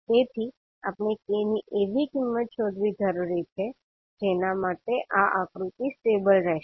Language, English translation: Gujarati, So we need to find out the value of K for which this particular figure will be stable